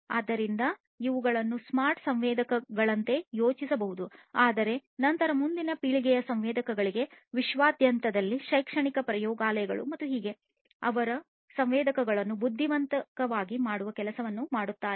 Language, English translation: Kannada, So, these can be thought of like smart sensors, but then for next generation sensors throughout the world industries academic labs and so, on